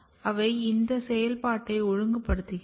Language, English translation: Tamil, And they are actually regulating their activity as well